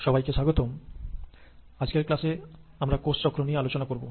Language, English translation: Bengali, So hello again and in today’s class we are going to talk about the process of cell cycle